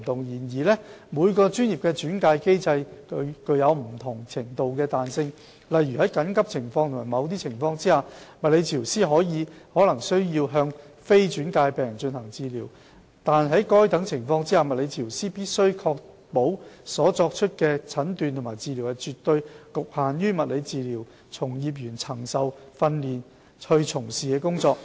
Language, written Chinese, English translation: Cantonese, 然而，每個專業的轉介機制具有不同程度的彈性，例如在緊急情況及某些情況下，物理治療師可能需要向非轉介的病人進行治療，惟在該等情況下，物理治療師必須確保所作的診斷或治療是絕對局限於物理治療從業員曾受訓練從事的工作。, Nevertheless the referral mechanism adopted by each profession allows a certain degree of flexibility . For example for emergencies and under certain circumstances a physiotherapist may be obliged to undertake some treatment without such previous referral . In such an eventuality the physiotherapist should ensure that such assessment and treatment is strictly limited to what the practitioner of physiotherapy has been trained to do